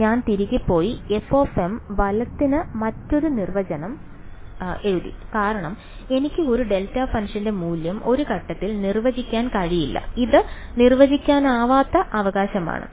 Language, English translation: Malayalam, So, that is why I went back and I wrote another definition for f m right because I cannot define the value of a delta function at some point, its a undefined right